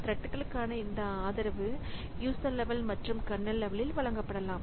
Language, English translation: Tamil, So, this support for threads may be provided at both the user level and kernel level